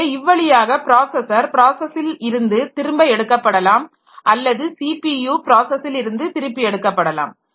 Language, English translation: Tamil, So, this way the processor can be taken back from the process or the CPU can be taken back from the process but think in terms of the printer